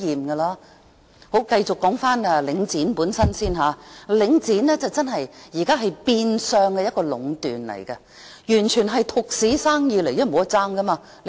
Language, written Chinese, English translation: Cantonese, 說回領展本身，領展現時真是變相壟斷，完全是獨市生意，因為沒有競爭。, Back to Link REIT . Now Link REITs operation is indeed de facto monopolization . Its business is utterly a monopoly because there is no competition